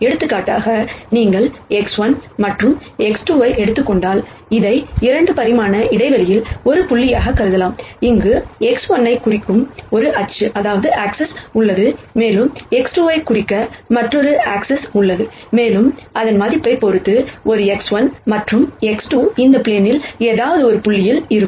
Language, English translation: Tamil, So, for example, if you take x 1 and x 2 you could think of this, as being a point in a 2 dimensional space, where there is one axis that represents x 1 and there is another axis that represents x 2, and depending on the value of the an x 1 and x 2 you will have a point anywhere in this plane